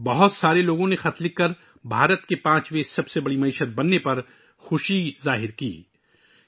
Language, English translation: Urdu, Many people wrote letters expressing joy on India becoming the 5th largest economy